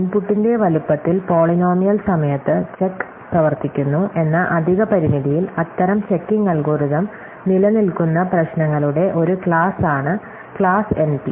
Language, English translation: Malayalam, So, the class NP is a class of problems for which such checking algorithms exist with the additional constraint that the check runs in polynomial time in the size of the input